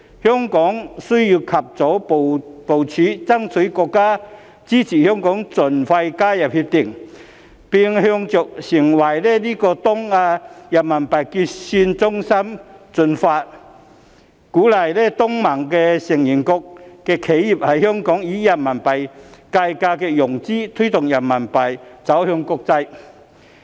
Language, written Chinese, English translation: Cantonese, 香港需要及早部署，爭取國家支持香港盡快加入《協定》，並朝着成為東亞的人民幣結算中心進發，鼓勵東盟成員國的企業在香港以人民幣計價融資，推動人民幣走向國際。, Hong Kong needs to make preparation at an early stage to seek the States support for Hong Kong to join RCEP as early as possible . We should progress towards the aim of becoming the RMB settlement centre in East Asia so as to encourage enterprises from ASEAN member states to obtain RMB - denominated financing in Hong Kong with a view to promoting the internationalization of RMB